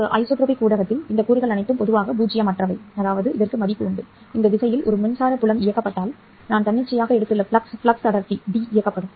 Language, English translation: Tamil, In an anisotropic medium, all these elements are usually non zero, which means that if electric field is directed along this direction which have taken arbitrarily, the flux density D will be directed